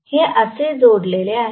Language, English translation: Marathi, This is connected like this